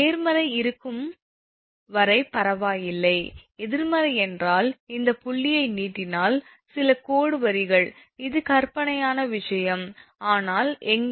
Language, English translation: Tamil, Negative means that as long as it is 0 or positive it is ok, when negative means if you extend this point is some dash line to the, it actually it is imaginary thing, but somewhere that point O will come